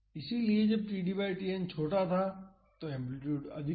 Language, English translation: Hindi, So, when td by Tn was smaller this amplitude was higher